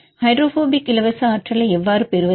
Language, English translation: Tamil, How to get the hydrophobic free energy